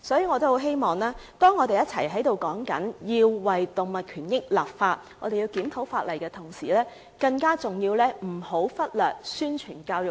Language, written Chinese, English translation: Cantonese, 我們要求為動物權益立法及檢討法例，但更重要的是不要忽略宣傳和教育。, We ask the Government to enact legislation on animal rights and review the relevant legislation . Yet more important still we should not ignore publicity and education